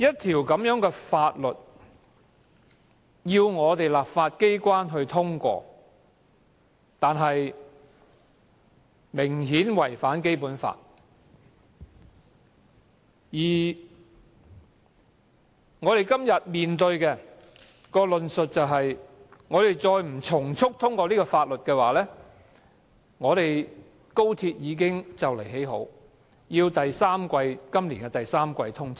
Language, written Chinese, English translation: Cantonese, 政府要求本港的立法機關通過一項明顯違反《基本法》的《條例草案》，但我們今天面對的通過理據，卻是快將完工的高鐵要趕及今年第三季通車。, The Government is now urging the legislature of Hong Kong to pass the Bill which obviously contravenes the Basic Law and the justification presented to us today is that the soon - to - be - completed XRL must commission in the third quarter of this year